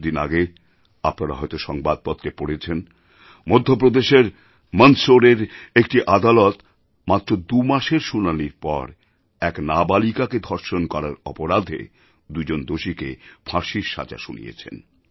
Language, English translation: Bengali, Recently, you might have read in newspapers, that a court in Mandsaur in Madhya Pradesh, after a brief hearing of two months, pronounced the death sentence on two criminals found guilty of raping a minor girl